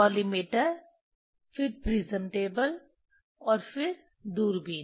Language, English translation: Hindi, Collimator then prism table and then telescope